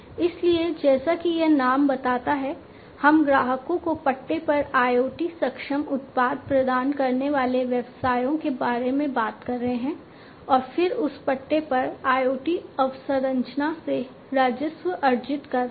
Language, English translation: Hindi, So, basically you know as this name suggests, we are talking about businesses providing IoT enabled products on lease to customers, and then earning revenue from that leased out IoT infrastructure